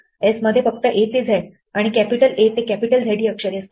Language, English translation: Marathi, Does s consists only of the letters a to z and capital a to capital z